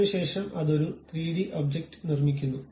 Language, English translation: Malayalam, Then it construct 3D object